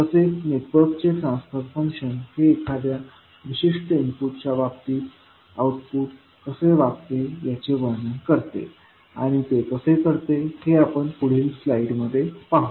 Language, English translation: Marathi, Now, the transfer function of the network describes how the output behaves with respect to a particular input, and how it will have, we will see in the next slide